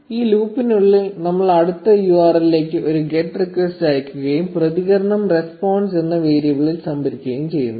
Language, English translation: Malayalam, And inside this loop we send a get request to this next URL, and store the response in a variable named response